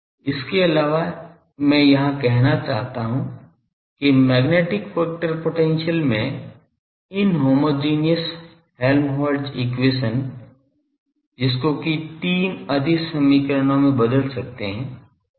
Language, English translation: Hindi, Also, I say here that actually the inhomogeneous Helmholtz equation in magnetic vector potential that boils down to three scalar equations